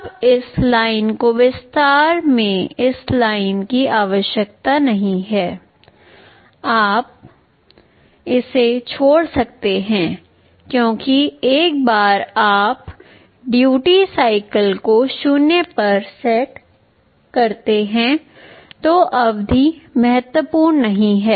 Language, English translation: Hindi, Now, this line is actually not needed this line you can also omit this is not really required because, once you set the duty cycle to 0 the period does not matter ok